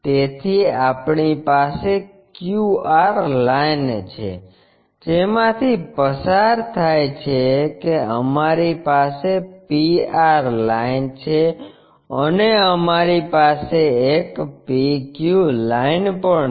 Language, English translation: Gujarati, So, we have a QR line which goes through that we have a P R line and we have a PQ line